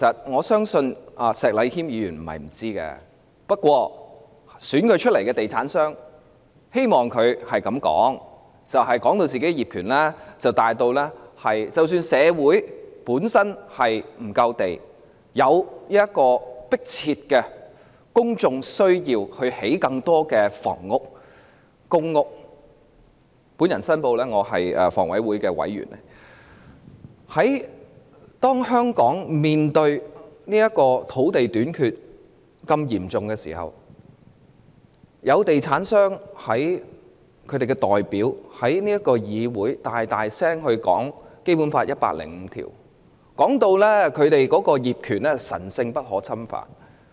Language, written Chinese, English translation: Cantonese, 我相信石禮謙議員並非不知道這點，但投票選他的地產商希望他這樣發言，是要把業權說成大於......即使社會欠缺足夠土地，並有迫切公眾需要興建更多房屋和公屋——我先申報我是香港房屋委員會的委員——在香港面對嚴重的土地短缺問題時，作為地產商的代表，他也要在議會內大聲讀出《基本法》第一百零五條，把他們的業權說得好像神聖不可侵犯般。, I believe Mr Abraham SHEK is not unaware of this point but the property developers who voted for him want him to speak in such a way that portrays the title as more important than Even though there is an acute shortage of land in Hong Kong and an urgent public need for provision of more private homes and public housing―I declare in advance that I am a member of the Hong Kong Housing Authority―he as a representative of the property developers still has to read aloud Article 105 of the Basic law in this Chamber as if their title is sacredly inviolable